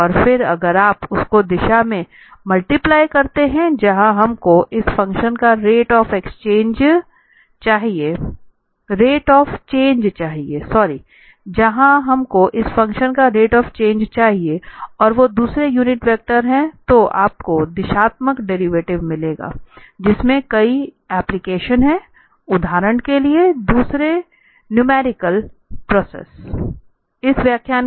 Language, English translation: Hindi, And then if you multiply this by the direction where we want the rate of change of this function and this is the unit vector, so you will get this directional derivative of the function which has several applications in optimization, for instance, and other numerical process